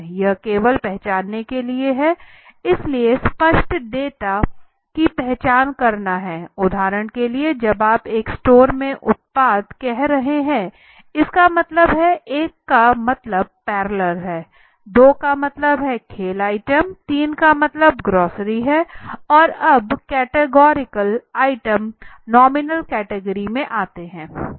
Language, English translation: Hindi, It is just to quote it is to identify so categorical data are all then categorical data for example when you are saying the product in a store one means let say example one means let say a parallel two means the sports item three means that is the grocery in all categorical items and all categorical items fall into a nominal category okay